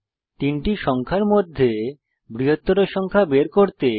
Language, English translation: Bengali, * Write a java program to find the biggest number among the three numbers